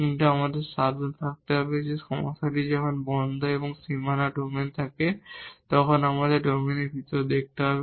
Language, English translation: Bengali, But, we have to be careful that the problem when we have that close and the boundary domain we have to look inside the domain